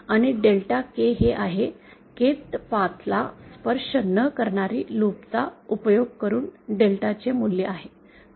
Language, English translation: Marathi, And delta K is thoseÉ is the value of delta using loops not touching the Kth path